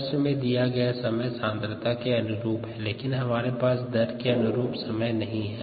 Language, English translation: Hindi, we have times here corresponding to the concentration, but we don't have times corresponding to the rates